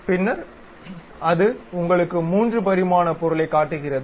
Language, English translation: Tamil, Then it shows you a 3 dimensional object